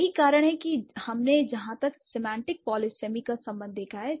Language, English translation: Hindi, So, that is what we have seen as for a semantic polysemies concerned